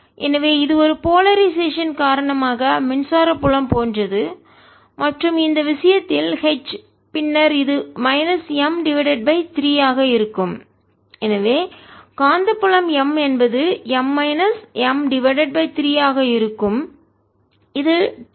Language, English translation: Tamil, so this is like the electric field due to a polarization, and h in this case then is going to be minus m over three and therefore the magnetic field is going to be m minus m by three, which is two m by three